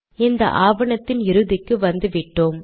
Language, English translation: Tamil, And we have come to the end of this document